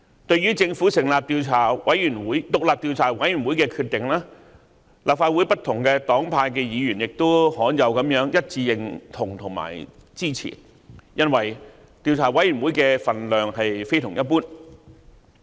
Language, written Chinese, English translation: Cantonese, 對於政府成立獨立調查委員會的決定，立法會不同黨派的議員亦罕有地一致認同及支持，因為調查委員會的分量非同一般。, Concerning the Governments decision to establish the independent Commission of Inquiry Members of various political parties and groupings in the Legislative Council expressed their rare unanimous agreement and support since the status of the Commission is extraordinary